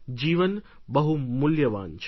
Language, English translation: Gujarati, Life is very precious